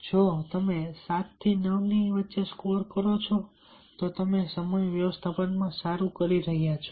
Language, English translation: Gujarati, if you score seven to nine, you are doing well in time management